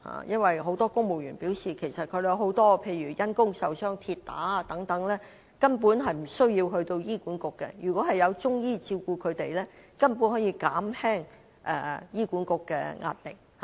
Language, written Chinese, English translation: Cantonese, 因為很多公務員也表示，因公受傷例如跌打損傷等情況根本無須到醫管局，如果有中醫照顧他們，便可以減輕醫管局的壓力。, Because according to many civil servants it is actually unnecessary for them to seek service from HA for some occupational injuries related to falls and fractures . If there are Chinese medicine practitioners taking care of them HAs pressure can be relieved